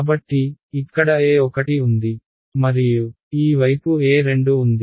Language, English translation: Telugu, So, I have E 1 over here and I have E 2 on this side